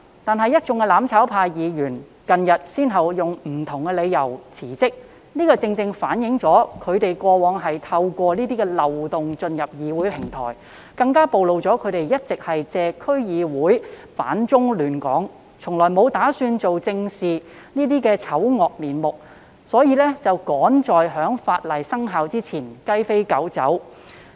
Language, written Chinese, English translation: Cantonese, 然而，一眾"攬炒派"區議員近日先後以不同理由辭職，這正好反映他們過往透過漏洞進入議會平台，更暴露了他們一直以來借區議會"反中亂港"、從來沒有打算做正事的醜惡面目，所以才趕在新法例生效前"雞飛狗走"。, However a number of DC members from the mutual destruction camp have recently resigned over various reasons . This is not only a testament to the fact that they have previously gained access to the DC platform by exploiting the loopholes but has also exposed their ugly motive of using DCs to oppose China and seek to disrupt Hong Kong instead of making any plans to do practical work . They therefore have to flee in no time before the new law takes effect